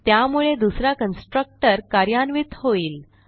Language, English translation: Marathi, So the second constructor gets executed